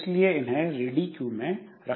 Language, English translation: Hindi, So, they are put onto the ready queue